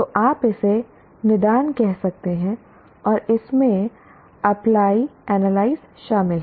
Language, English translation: Hindi, So you can call it diagnosis and in that apply and analyze are involved